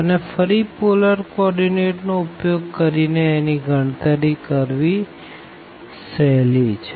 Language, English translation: Gujarati, We can evaluate easily by change into the polar coordinate